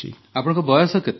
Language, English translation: Odia, And how old are you